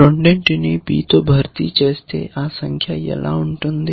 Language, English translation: Telugu, If he replaces 2 with B what would the figure be like this